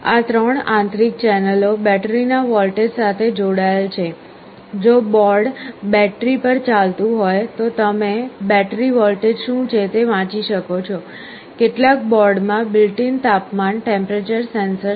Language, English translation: Gujarati, These 3 internal channels are connected to the voltage of the battery; if the board is running on battery you can read what is the battery voltage, then there is a built in temperature sensor in some of the boards